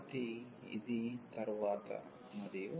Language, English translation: Telugu, So, this for later and